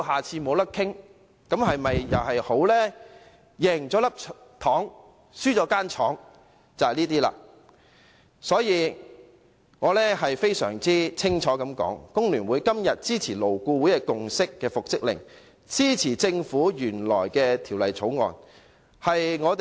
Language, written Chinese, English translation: Cantonese, 這便是"贏了一顆糖，輸了一間廠"。我要清楚說明，工聯會今天支持勞顧會已達成共識的復職令安排，以及政府提交的《條例草案》。, I need to clearly state that FTU today supports the arrangement concerning the order for reinstatement on which a consensus has been reached by LAB as well as the Bill introduced by the Government